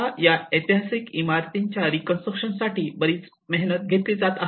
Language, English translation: Marathi, Now a lot of efforts have been taken up in the reconstruction of these historic buildings